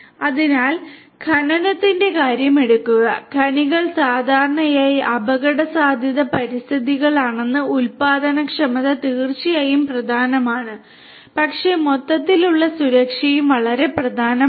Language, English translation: Malayalam, So, take the case of mining, in mines as you know that mines typically are risky environments where productivity is indeed important, but overall safety is also very important